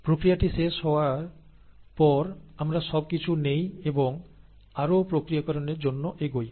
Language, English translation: Bengali, After the process is complete, we take everything and and go for further processing